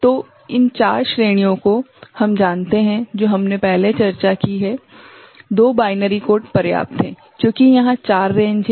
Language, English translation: Hindi, So, these 4 ranges we know, from what we have discussed before, 2 binary code is sufficient right, because it is 4 ranges are there